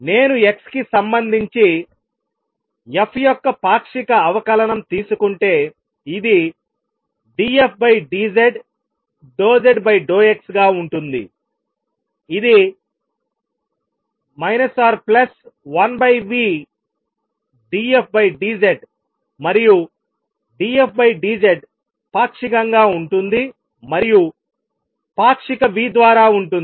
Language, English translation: Telugu, And if I take partial derivative of f is respect to x this is going to be d f d z times partial z over partial x which is going to give me minus one over v d f d z and d f d z is same as partial and is by partial v